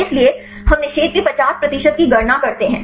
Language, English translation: Hindi, So, we calculate the 50 percent of the inhibition